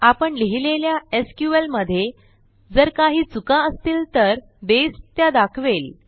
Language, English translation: Marathi, If there are any errors with the SQL we wrote, Base will point them out